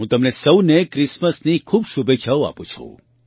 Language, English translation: Gujarati, I wish you all a Merry Christmas